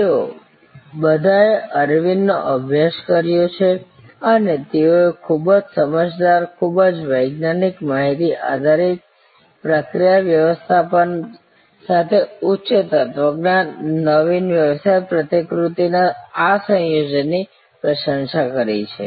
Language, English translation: Gujarati, They have all studied Aravind and they have all admired this combination of high philosophy, innovative business model with very prudent, very scientific data based process management